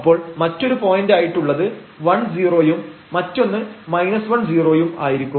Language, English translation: Malayalam, So, on other points will be 1 0 and then we will have a minus 1 and 0